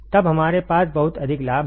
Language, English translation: Hindi, Then we have very high gain, very high gain